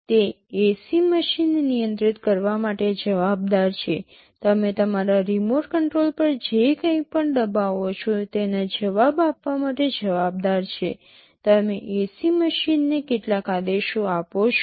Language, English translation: Gujarati, It is responsible for controlling the AC machine, it is responsible for responding to whatever you are pressing on your remote control, you are given giving some commands to the ac machine and so on